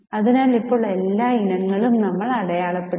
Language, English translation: Malayalam, So, now we have noted everything